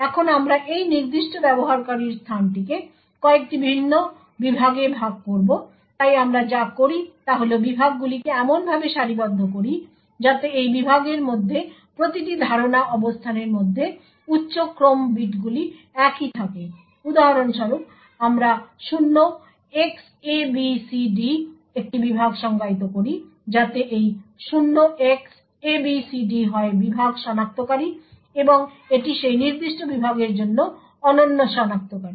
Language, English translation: Bengali, Now we would divide this particular user space into several different segments so what we do is align the segments in such a way that the higher order bits within each memory location within this segment are the same for example we define a segment 0xabcd so this 0Xabcd is the segment identifier or this is the unique identifier for that particular segment